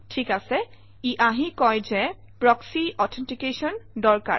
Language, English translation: Assamese, Alright, it comes and says proxy authentication is required